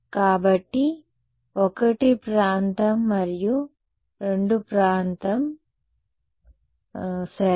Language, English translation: Telugu, So, 1 is region 1 and 2 is region 2 ok